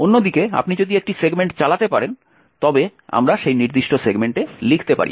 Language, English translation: Bengali, On the other hand, if you can execute a segment we cannot write to that particular segment